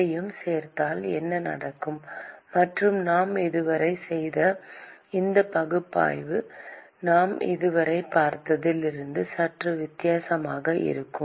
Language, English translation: Tamil, What happens if we include that; and how these analysis that we have done so far would look slightly different from what we saw so far